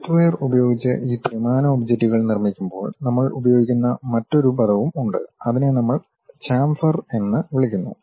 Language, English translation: Malayalam, There is other terminology also we use, when we are constructing these 3D objects using softwares, which we call chamfer